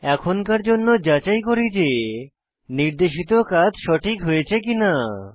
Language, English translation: Bengali, For now, lets check whether the assignment is done properly